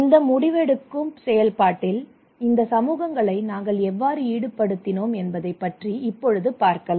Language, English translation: Tamil, I will talk about that how we involved these communities into this decision making process